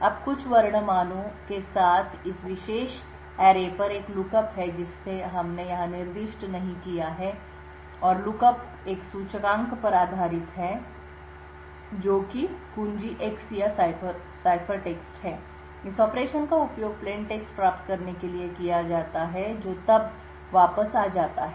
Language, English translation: Hindi, Now there is a lookup on this particular array with containing some character values which we have not specified over here and the lookup is based on an index which is key X or ciphertext, this operation is used to obtain the plaintext which is then returned